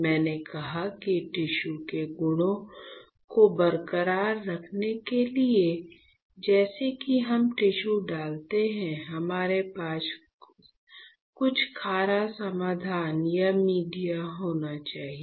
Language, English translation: Hindi, I told you that to hold the tissue properties intact, as soon as we place the tissue we have to have some saline solution or a media